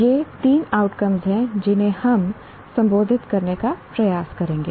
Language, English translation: Hindi, These are the three outcomes we will try to address